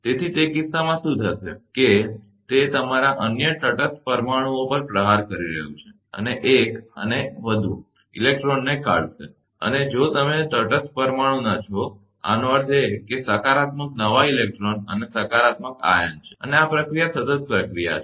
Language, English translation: Gujarati, So, in that case what will happen, that your it was striking another neutral molecules and dislodge one and more electrons and the, you’re from the neutral molecule; that means, this positive new electron and a positive ion, and this process is a continuous process